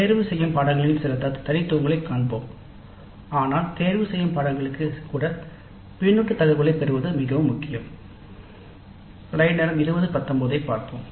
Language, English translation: Tamil, We will see some of the peculiarities of elective courses but it is very important to get the feedback data even for elective courses